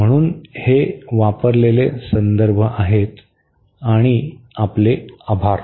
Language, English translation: Marathi, So, these are the references used and thank you very much